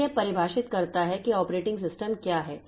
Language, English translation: Hindi, So, that defines what is an operating system